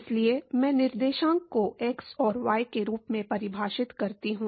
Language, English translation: Hindi, So, I define coordinate as x and y